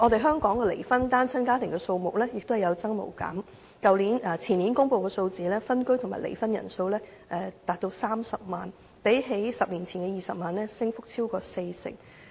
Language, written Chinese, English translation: Cantonese, 香港的離婚單親家庭數目亦有增無減，前年公布的數字顯示分居和離婚人數高達30萬人，較10年前的20萬人升幅超過四成。, The number of divorced single - parent families also keeps rising . As shown by the figures released the year before last the number of separateddivorced persons reached 300 000 up by more than 40 % over the number recorded 10 years ago which was 200 000